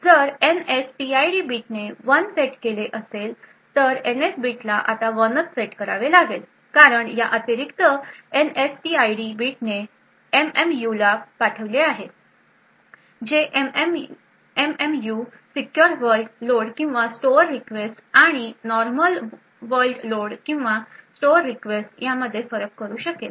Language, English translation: Marathi, If the NSTID bit set 1 then the NS bit is forced to 1 now this because of this additional NSTID bit which is sent to the MMU the MMU would be able to identify or distinguish between secure world load or store request and a normal world load or store request